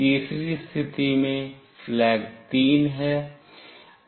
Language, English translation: Hindi, In the third case, the flag is 3